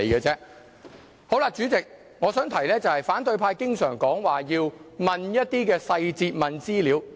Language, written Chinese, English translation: Cantonese, 主席，我想提出的是，反對派經常說要詢問一些細節和資料。, President I have a point of view . The opposition camp always asks for details and information